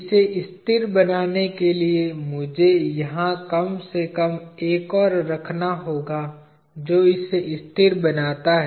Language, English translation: Hindi, In order to make it stationary I have to at least have one more here that makes it stationary